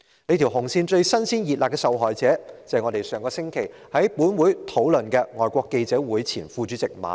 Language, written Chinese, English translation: Cantonese, 這條"紅線"最"新鮮熱辣"的受害者，正是本會上星期討論的議案提及的香港外國記者會前副主席馬凱。, The newest victim of this red line is Victor MALLET the former Vice - President of the Foreign Correspondents Club as mentioned in the motion discussed by this Council last week